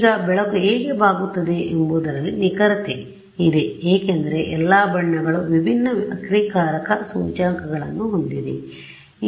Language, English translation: Kannada, Now, the precise is in why light gets bent is because all the colors have different refractive indices that is the more detailed explanation